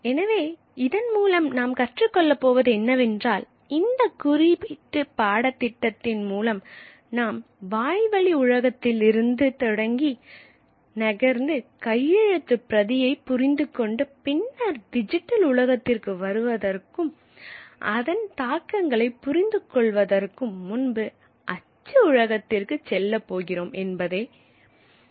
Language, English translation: Tamil, So I am in this in the story we are going to begin from the oral world, move to the manuscript world and then move to the print world before we come to the digital world and understand its implications